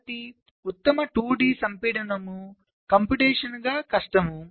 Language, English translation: Telugu, so the best two d compaction is known to be computationally difficult